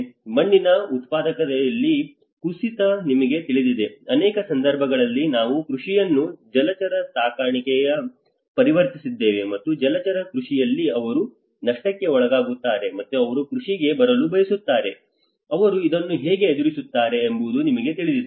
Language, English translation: Kannada, Decline in soil productivity you know, in many at cases we have this how the agriculture have been converted into aquaculture, and again aquaculture has been at some point they come into losses, and again they want to come into agriculture you know how they face these difficulties and how it will reduce the soil productivity as well